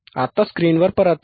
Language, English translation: Marathi, Now, come back to the screen